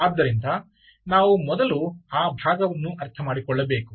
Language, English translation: Kannada, so we have to understand that part first